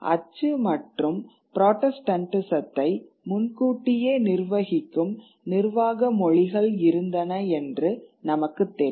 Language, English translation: Tamil, So, you already had administrative vernaculars which predated print and protestantism